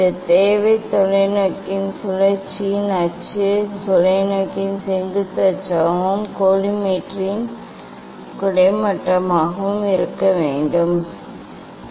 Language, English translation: Tamil, I told this requirement was the axis of rotation of telescope should be vertical axis of telescope and of that of the collimator should be horizontal